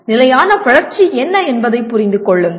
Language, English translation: Tamil, Understand what sustainable growth is